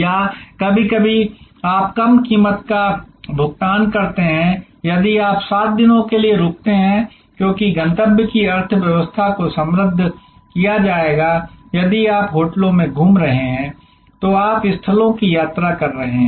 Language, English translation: Hindi, Or sometimes you pay a lower price if you at staying for 7 days, because that destination economy will be enriched if you are staying in hotels touring around travelling around visiting the sights